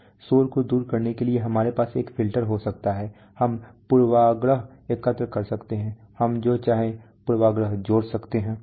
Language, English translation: Hindi, We can have a filter to strip out noise, we can collect bias, we can add bias whatever we want